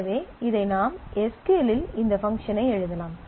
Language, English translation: Tamil, So, this you can write this function in SQL